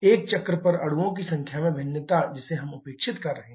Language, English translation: Hindi, The variation in the number of molecules over a cycle that also we are neglecting